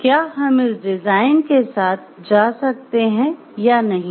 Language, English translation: Hindi, So, whether we will be going for it or not